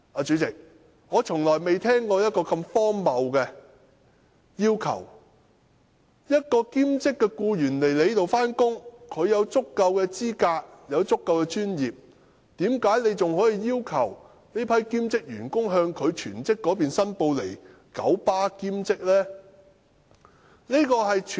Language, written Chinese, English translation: Cantonese, 主席，我從來沒有聽過如此荒謬的要求，如果兼職僱員本身已具備足夠的專業資格，為何九巴仍要求他們向其全職僱主申報在九巴的兼職工作呢？, President I have never heard of such an absurd request . If the part - time staff already have sufficient professional qualifications why did KMB still request them to declare their part - time jobs in KMB to the employers of their full - time jobs?